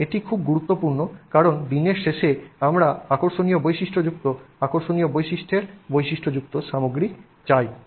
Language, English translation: Bengali, And this is very important because at the end of the day we want materials with interesting properties, interesting ranges of properties